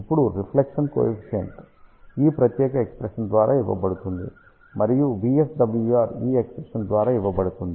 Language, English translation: Telugu, Now, reflection coefficient is given by this particular expression, and VSWR is given by this expression